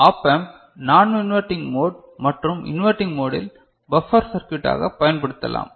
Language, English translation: Tamil, Op Amp in inverting mode and non inverting mode can be used as a buffer circuit